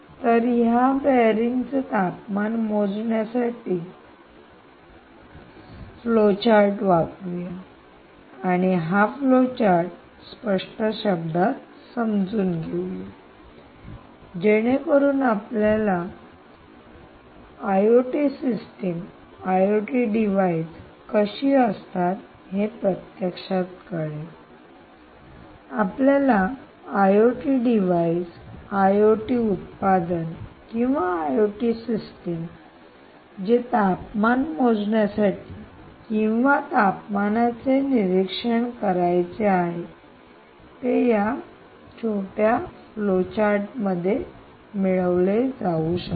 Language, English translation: Marathi, so lets capture this bearing temperature measurement into a flowchart and lets explain this flowchart in clear terms so that you actually know how an i o t system, i o t device that you want to you want to i o t, an i o t product that, or an i o t system that should be doing bearing temperature measuring or monitoring temperature monitoring, actually works or actually should be done, can be captured in this little flowchart